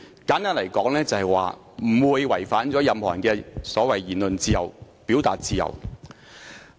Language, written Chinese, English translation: Cantonese, 簡單而言，它不會違反任何人所提出的"言論自由"及"表達自由"。, In gist it will not violate the freedom of speech and the freedom of expression claimed by anyone